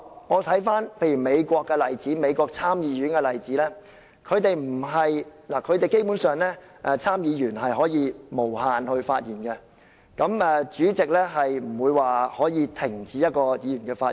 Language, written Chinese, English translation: Cantonese, 我回看美國參議院的例子，基本上參議員是可以無限次發言的，主席不能停止一名議員的發言。, As seen in the case of the Senate of the United States senators are fundamentally allowed to speak for unlimited times and the President of the Senate cannot prevent senators from asking questions